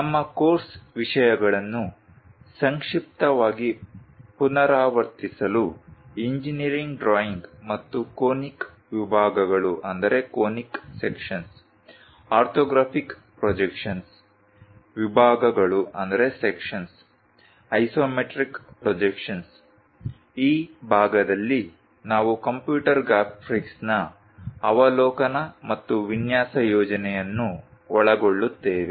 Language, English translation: Kannada, To briefly recap our course contents are introduction to engineering drawing and conic sections, orthographic projections, sections, isometric projections , overview of computer graphics in this part we will cover, and a design project